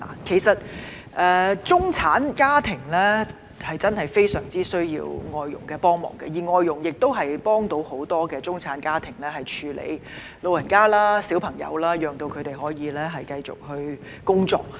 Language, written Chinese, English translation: Cantonese, 其實，中產家庭真的非常需要外傭幫忙，而外傭的確能夠幫助很多中產家庭照顧長者和兒童，讓他們可以繼續工作。, In fact middle - class families badly need help from foreign domestic helpers FDHs and FDHs can really help many middle - class families to take care of elderly persons and children so that they can continue to work